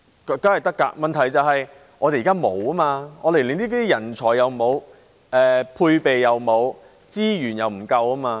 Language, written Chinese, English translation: Cantonese, 當然可以，但問題是我們現在連這類人才也沒有，配備也沒有，資源也不足夠。, It certainly is but the problem is that at present we do not even have this kind of talent nor equipment and sufficient resources